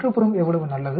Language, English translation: Tamil, How good the neighborhood is